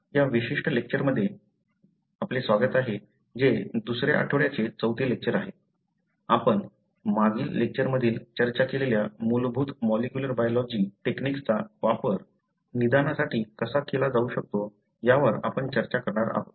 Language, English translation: Marathi, We will be discussing in this particular lecture which happens to be the fourth lecture for week II, how the basic molecular biology techniques that we discussed in the previous lecture can be used for diagnosis